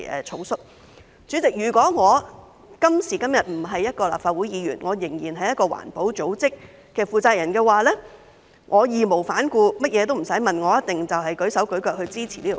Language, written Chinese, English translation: Cantonese, 代理主席，如果我今時今日並非一名立法會議員，而仍然是一個環保組織的負責人的話，我會義無反顧，甚麼也不用問，一定會舉手舉腳支持《條例草案》。, Deputy President if I were not a Member of the Legislative Council today but still the person in charge of a green group I would raise no objection and give my unswerving support to the Bill without asking any questions